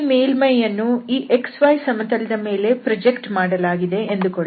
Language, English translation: Kannada, So here in this case we will project on the x y plane